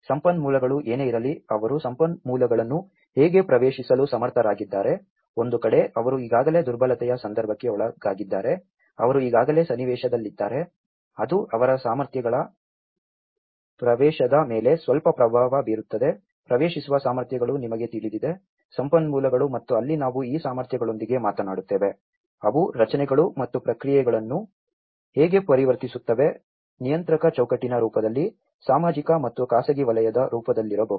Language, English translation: Kannada, Whatever the resources, how they are able to access the resources, on one hand, they are already subjected the vulnerability context, they are already in the context, which will have some influence on their access to the abilities, you know the abilities to access the resources and that is where we talk about with these abilities, how they transform the structures and processes, whether in the form of regulatory framework, whether in the form of public and private sector